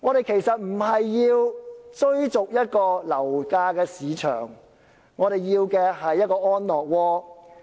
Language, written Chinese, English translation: Cantonese, 其實，市民並非要追逐樓市，他們要的是一個安樂窩。, As a matter of fact people do not want to chase the ups and downs of the property market